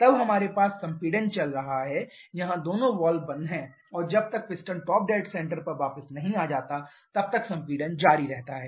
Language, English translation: Hindi, Then we have the compression going on here both the valves are closed and the compression continues till the piston goes back to the top dead center